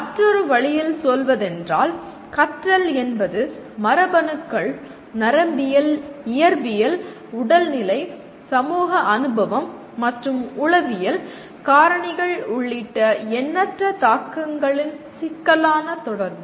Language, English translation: Tamil, And another way of putting is, learning is a complex interaction of myriad influences including genes, neurophysiology, physical state, social experience and psychological factors